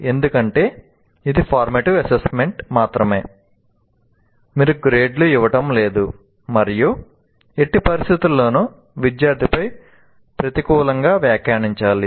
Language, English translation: Telugu, Under no circumstance, because it's only formative assessment, you are not giving grades, under no circumstance, one should negatively comment on the student